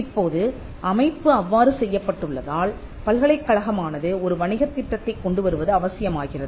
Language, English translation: Tamil, Now, because of the way in which the system is set it is necessary that the university comes up with a business plan